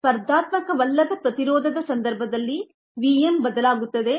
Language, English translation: Kannada, for the noncompetitive inhibition, the v m gets modified